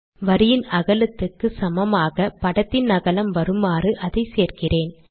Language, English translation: Tamil, I include it here with the width of this figure coming out to be equal to that of the line width